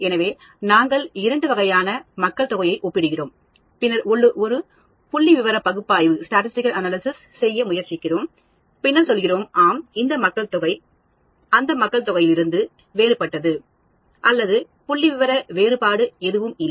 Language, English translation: Tamil, So, we are comparing two types of populations, and then trying to make a statistical analysis, and then say – yes, this population is different from that population or there is no statistical difference